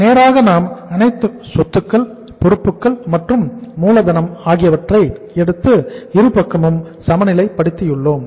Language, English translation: Tamil, Straightaway we have take all the assets, liabilities, and capital and balance both the sides